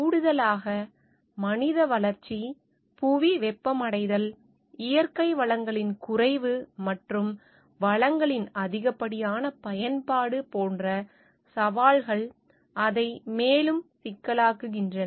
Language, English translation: Tamil, Additionally the challenges like human growth population, global warming, depletion of natural resources and over use of resources is making it further complex